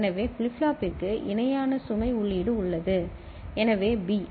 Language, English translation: Tamil, So, parallel load input is there for the flip flop so B